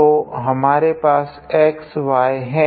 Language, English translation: Hindi, So, we have x y